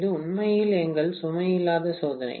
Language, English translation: Tamil, This is actually our no load test, okay